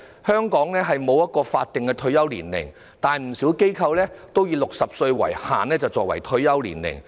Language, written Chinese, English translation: Cantonese, 香港沒有法定退休年齡，但不少機構均以60歲作為退休年齡。, There is no statutory retirement age in Hong Kong but many organizations have set the retirement age at 60